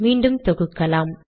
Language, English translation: Tamil, Let me compile